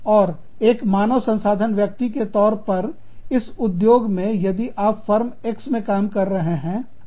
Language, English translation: Hindi, And, as a human resource person, within the industry, if you are working with Firm X